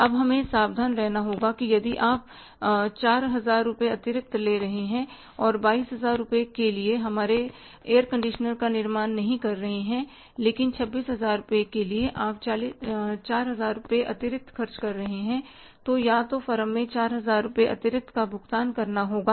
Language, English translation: Hindi, Now we will have to be careful that if you are selling out 4,000 rupees extra and manufacturing air conditioner for not 22,000 but for 26,000 rupees you are selling out 4,000 rupees extra